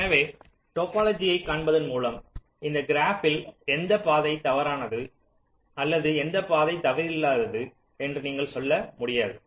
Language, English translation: Tamil, so just by looking at the topology, just in the graph, you cannot tell which path is false or which path is not false